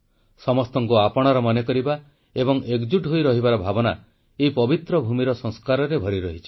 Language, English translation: Odia, Considering everyone as its own and living with the spirit of togetherness is embedded in the ethos of this holy land